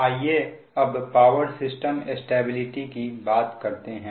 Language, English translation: Hindi, ok, so let us come back to the your power system stability